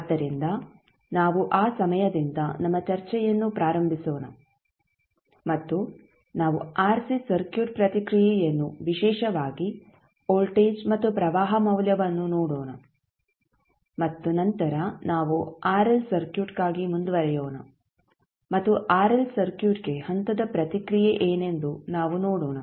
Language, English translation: Kannada, So, we will start our discussion from that point onwards and we will see the RC circuit response particularly the voltage and current value and then we will proceed for RL circuit and we will see what could be the step response for RL circuit